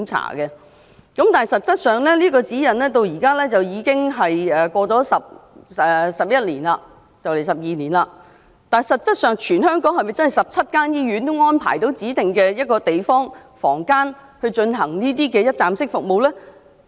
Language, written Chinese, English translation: Cantonese, 可是，自發出這份指引後，至今已過了11年，也快將12年了，但實際上，全港17間醫院是否已安排指定地方或房間以提供這種一站式服務呢？, However now that 11 years almost 12 have passed since this set of guidelines was issued have the 17 hospitals throughout the territory actually arranged designated places or rooms to provide such one - stop services?